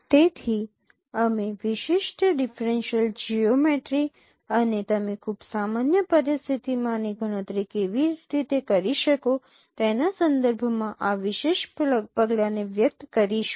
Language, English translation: Gujarati, So we will be expressing this particular measure with respect to the differential geometric operations and how you can compute this one in a very general situation